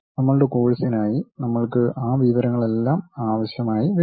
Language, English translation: Malayalam, For our course, we may not require all that information